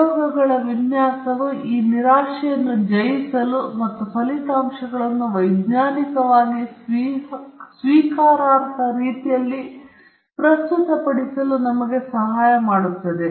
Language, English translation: Kannada, But design of experiments help us to overcome these frustrations and present the results in a scientifically acceptable manner